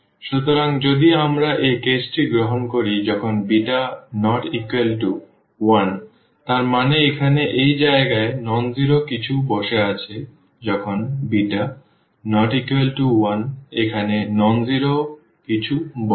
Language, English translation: Bengali, So, if we take this case when beta is not equal to 1; that means, something nonzero is sitting at this place here when beta is not equal to 1 something nonzero, nonzero will sit here